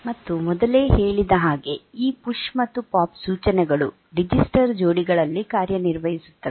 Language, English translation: Kannada, And as we said that these PUSH and POP instructions they work on the register pairs